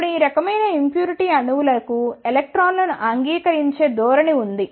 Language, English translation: Telugu, Now, these type of impurity atoms have a tendency to accept the electrons